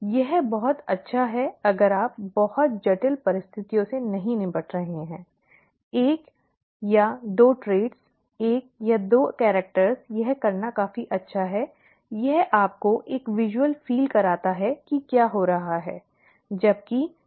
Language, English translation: Hindi, It's rather nice if you are not dealing with very complex situations; one or two traits, one or two characters it is quite good to do, it gives you a visual feel for what is happening, okay